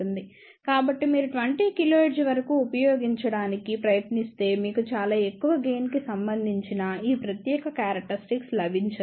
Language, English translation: Telugu, So, if you try to use up to 20 kilohertz you will not get this particular characteristic of very high gain